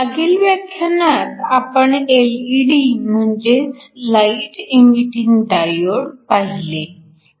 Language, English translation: Marathi, Last class we looked at LED’s or light emitting diodes